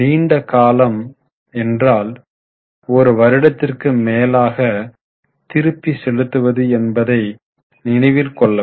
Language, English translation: Tamil, Always keep in mind that long term means one which is repayable for more than one year